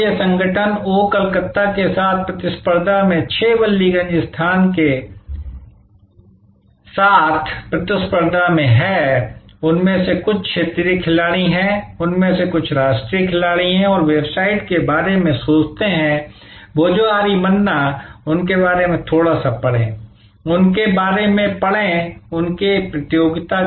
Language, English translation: Hindi, Now, this organization is in competition with 6 Ballygunge place in competition with oh Calcutta, some of them are regional players, some of them are the national players and think about go to the website Bhojohori Manna, read a little bit about them, read about their competition